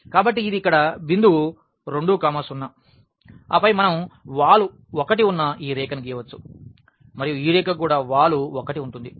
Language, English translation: Telugu, So, this is the point 2 0 here and then we can draw this line which has slope 1 and this line also has slope 1